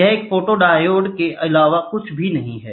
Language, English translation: Hindi, That is nothing but a photodiode is used